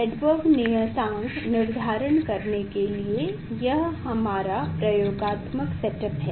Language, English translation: Hindi, this is our experimental set up for determination of the, for determining the Rydberg constant